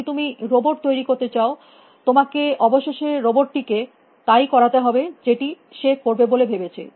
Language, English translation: Bengali, If you want to build robots, you have to eventually make the robot do what the robot is thinking about doing